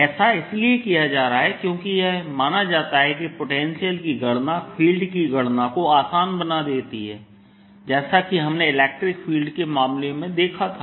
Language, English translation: Hindi, because [calculate/calculating] calculating a potential is suppose to make calculation of the field easier, as we saw in the case of electric field